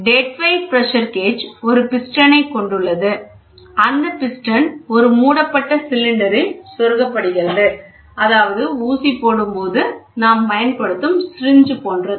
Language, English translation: Tamil, The dead weight pressure gauge comprises a piston that is inserted into a closed fitted cylinder like your syringe, which you use for injection